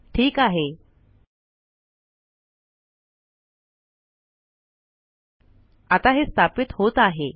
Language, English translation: Marathi, Okay, alright it is getting installed